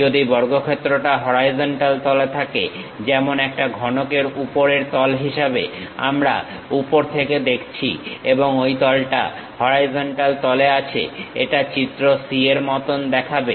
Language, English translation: Bengali, If the square lies in the horizontal plane, like the top face of a cube; we are looking from the top and that plane is on the horizontal plane, it will appear as figure c